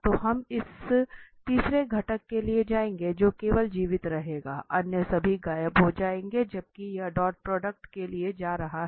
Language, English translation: Hindi, So we will go for this third component only that will survive all other will vanish while this doing going for dot product